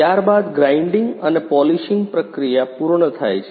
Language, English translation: Gujarati, After that the grinding and polishing process has been completed